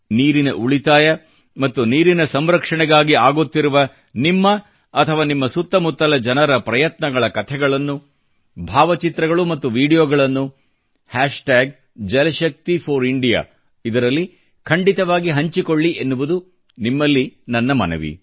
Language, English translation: Kannada, I urge you to share without fail, stories, photos & videos of such endeavours of water conservation and water harvesting undertaken by you or those around you using Jalshakti4India